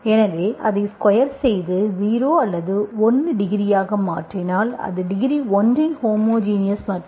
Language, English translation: Tamil, So you can have, if you make it square, 0 or 1 degree, it becomes homogeneous of degree one